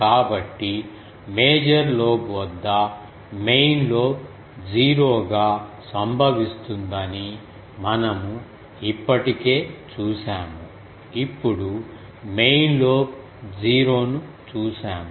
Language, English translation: Telugu, So, we have already seen that main lobe null occurs at null major lobe we have seen now main lobe null